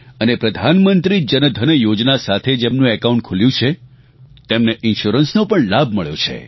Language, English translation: Gujarati, And those who opened their accounts under the Pradhan Mantri Jan DhanYojna, have received the benefit of insurance as well